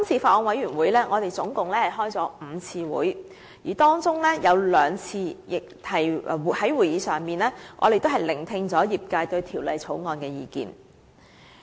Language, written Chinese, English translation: Cantonese, 法案委員會共舉行了5次會議，在當中兩次的會議席上，我們聆聽了業界對《條例草案》的意見。, The Bills Committee held five meetings in total and at two of them we listened to the views of the industry on the Bill